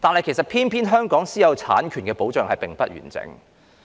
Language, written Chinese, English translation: Cantonese, 然而，偏偏香港的私有產權保障並不完整。, Unfortunately such protection is incomprehensive in Hong Kong